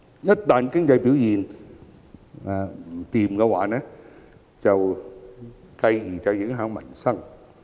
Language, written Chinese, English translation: Cantonese, 一旦經濟表現不振，便會影響民生。, Peoples livelihood will be affected in times of weak economic performance